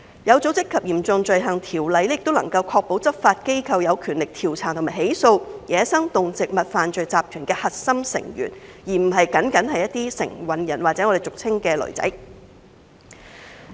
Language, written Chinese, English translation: Cantonese, 《有組織及嚴重罪行條例》也能夠確保執法機構有權力調查和起訴走私野生動植物犯罪集團的核心成員，而不僅僅是承運人或俗稱的"騾仔"。, OSCO can also ensure that law enforcement agencies have the power to investigate and prosecute the core members of criminal syndicates that are involved in wildlife trafficking other than the carriers or those commonly known as mules